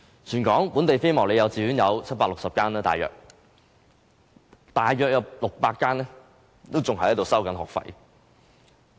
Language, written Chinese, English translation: Cantonese, 全港本地非牟利幼稚園有大約760間，但當中約600間還在收取學費。, At present there are about 760 non - profit - making kindergartens across the territory but about 600 of them still charge a fee